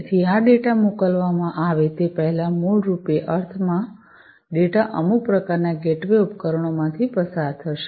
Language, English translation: Gujarati, So, before these are sent the data basically the sense data will pass through some kind of a age or gateway device